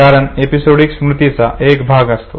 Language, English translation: Marathi, Therefore it is called as episodic memory